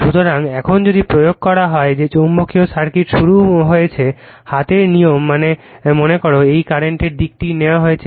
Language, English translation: Bengali, So, now if you apply your that you are what you call that yourmagnetic circuit you have started the, right hand rule suppose this is the direction of the current is taken